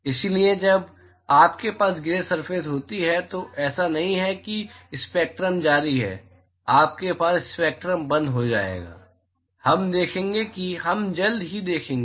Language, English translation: Hindi, So, when you have gray surfaces it is not that the spectrum is continues, you will have discontinues spectrum, we will see that we will see that shortly